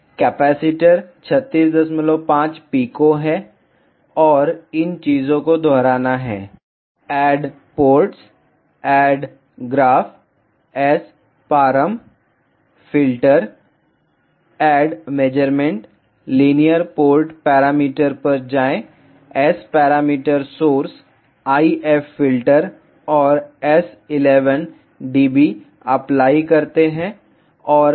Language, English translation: Hindi, 5 pico and these things have to repeat; add ports, add graph, SParam, filter, add measurement, go to linear port parameters s parameters source IF filter and S 11 dB apply and S 21 apply ok